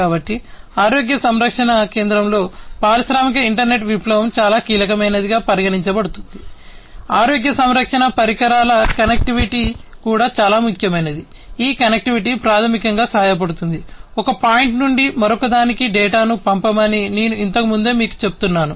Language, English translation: Telugu, So, the industrial internet revolution in the healthcare center is considered to be very crucial, connectivity of healthcare devices is also very important this connectivity basically helps, in what I was telling you earlier to send the data from one point to another